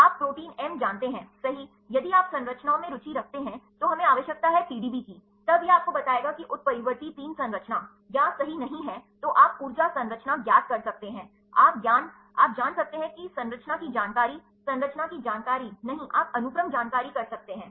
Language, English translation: Hindi, You know protein m right, or if you are interested in the structures, then we need the PDB while, then it will tell you whether the mutant three structure, or not right, then you can make the energy structure is known, you can know structure information, structure information not known you can do sequence information